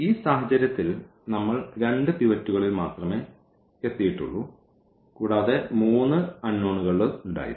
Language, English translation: Malayalam, So, in this case we got in only two pivots and there were three unknowns